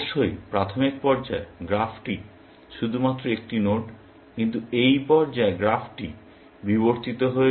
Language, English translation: Bengali, Of course, in an initial stage, the graph is only one node, but at something like this stage, the graph has evolved